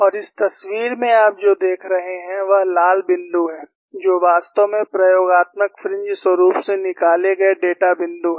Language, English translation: Hindi, And what you see in this picture, is the red dots, which are actually data points taken out from the experimental fringe pattern